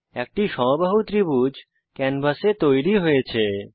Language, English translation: Bengali, An equilateral triangle is drawn on the canvas